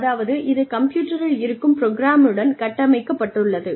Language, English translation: Tamil, So, that it is built, in to the program, in the computer